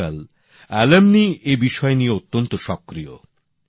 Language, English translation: Bengali, Nowadays, alumni are very active in this